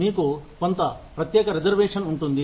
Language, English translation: Telugu, You would have, some special reservation